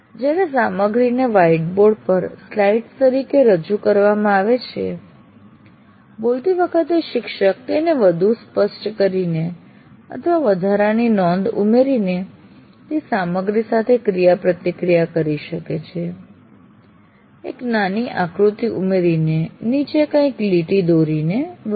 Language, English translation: Gujarati, And also what happens when the material is projected as slides onto a whiteboard, it allows the teacher to interact with that material by either highlighting or adding an extra comment on that, adding a small diagram, underlining something